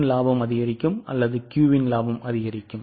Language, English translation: Tamil, Will P's profits increase more or Q's profits increase more